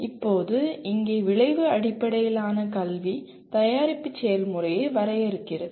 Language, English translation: Tamil, Now here in outcome based education product defines the process